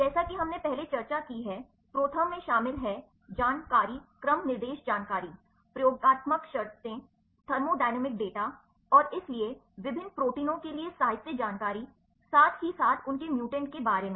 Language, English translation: Hindi, As we discussed earlier ProTherm contents information on sequence instruction information, experimental conditions thermodynamic data and so, literature information for different proteins, as well as their mutants